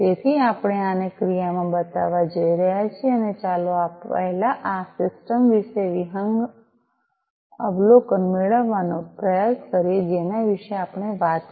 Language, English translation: Gujarati, So, we are going to show this in action and let us try to first get an overview about this system that we talked about